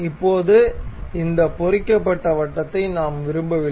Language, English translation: Tamil, Now, we do not want this inscribed circle